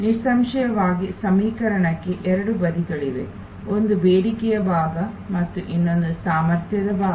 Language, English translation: Kannada, Obviously, there are two sides to the equation, one is the demand side and another is the capacity side